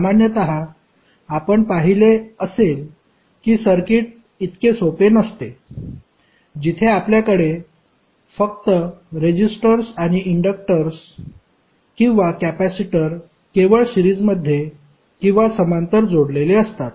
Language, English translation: Marathi, Generally, you might have seen that the circuit is not so simple, where you have only have the resistors or inductors or capacitors in series or in parallel